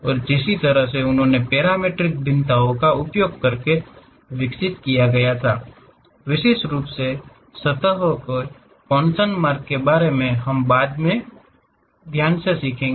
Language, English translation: Hindi, And, the way they developed further using parametric variations, especially by Coons way of surfaces which we will learn about later classes